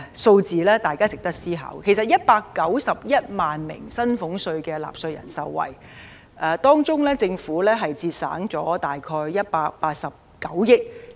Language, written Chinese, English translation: Cantonese, 措施將惠及191萬名薪俸稅納稅人，政府的收入則會減少約189億元。, The measure will benefit 1.91 million taxpayers of salaries tax and the Government will receive around 18.9 billion less in its revenue